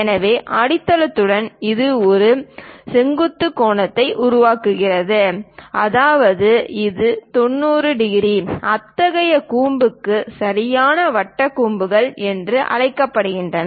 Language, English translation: Tamil, So, this one with the base it makes perpendicular angle; that means it is 90 degrees, such kind of cones are called right circular cones